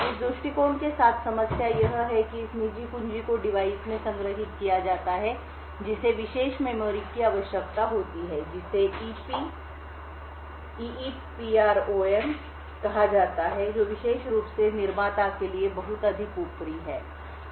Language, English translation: Hindi, The problem with this approach is that this private key is stored in the device requires special memory known as EEPROM, which is considerably overhead especially to manufacturer